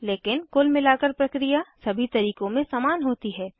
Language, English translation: Hindi, But the overall procedure is identical in all the methods